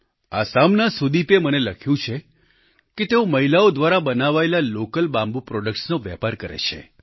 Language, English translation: Gujarati, Sudeep from Assam has written to me that he trades in local bamboo products crafted by women